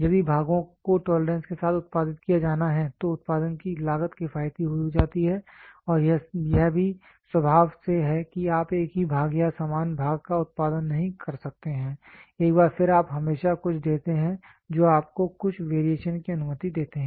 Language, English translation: Hindi, If the parts are to be produced with tolerance then the cost of production becomes economical and it is also by nature that you cannot produce the same part or identical part once again you always give some you permit some variation